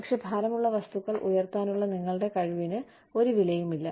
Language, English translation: Malayalam, But, your ability to lift heavy things, is of no value